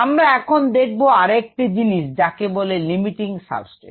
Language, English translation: Bengali, now we need to look at something called a limiting substrate